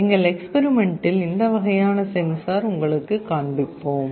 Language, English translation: Tamil, In the experiment we will be showing you this kind of a sensor